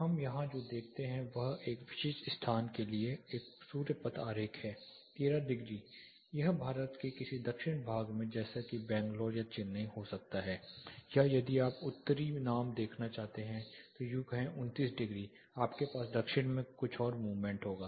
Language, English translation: Hindi, What we see here is a sun path diagram for this particular location 13 degrees this is some where in the southern part of India say it can be Bangalore, Chennai or if you want to see a northern name is if u say 29 degrees you will further have some movement to the south